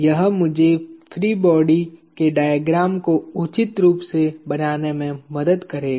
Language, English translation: Hindi, This will help me draw the free body diagrams appropriately